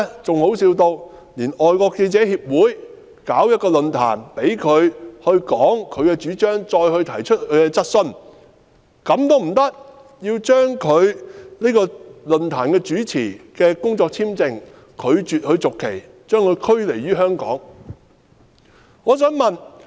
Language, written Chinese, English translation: Cantonese, 更搞笑的是，由於外國記者會舉辦論壇，讓陳浩天發表主張，並讓他回答質詢，政府便拒絕續發論壇主持的工作簽證，將他驅離香港。, More ridiculous still after FCC organized a forum for Andy CHAN to expound on his proposition and answer questions the Government refused to renew the work visa of the host of the forum and expelled him from Hong Kong